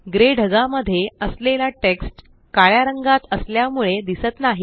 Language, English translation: Marathi, As the text in the gray clouds is black in color, it is not visible